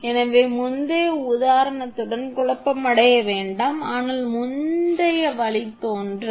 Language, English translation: Tamil, So, do not be confused with the previous example, so previous derivation